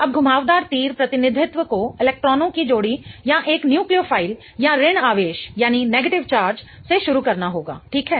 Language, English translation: Hindi, Now the curved arrow representation has to start from a pair of electrons or a nucleophile or a negative charge